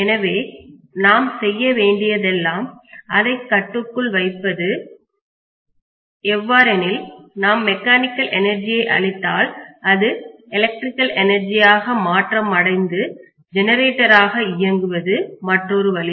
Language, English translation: Tamil, So all I need to do is I have to do the controlling such a way or if I give mechanical energy it will convert that into electrical energy and it can work as a generator or vice versa